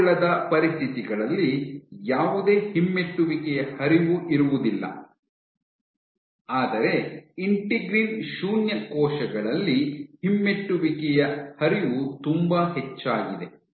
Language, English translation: Kannada, Under non adherent conditions, you have no retrograde flow, but when you in case of integrin null cells, retrograde flow is very high